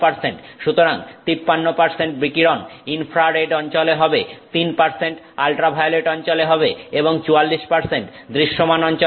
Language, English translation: Bengali, So, 53 percent of the radiation comes in the infrared, 3 percent in the ultraviolet and 44% in the visible spectrum